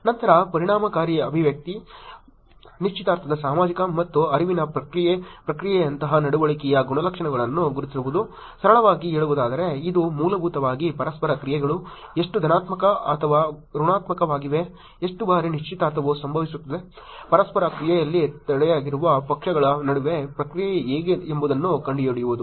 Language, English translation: Kannada, Then, identifying behavioral attributes like affective expression, engagement social and cognitive response process; in simple term it is basically looking at finding out how positive or negative the interactions are, how frequently the engagement happens, how is the response between the parties involved in the interaction